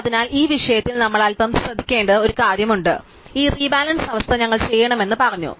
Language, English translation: Malayalam, So, there is one point we have to be bit careful about in this thing, so we said that we have to do all these rebalancing